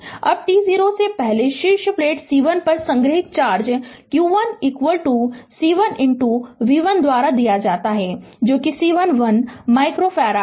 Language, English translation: Hindi, Now now the charge stored on the top plate C 1 prior to t 0 is given by q 1 is equal to C 1 into b one that is C 1 is one micro farad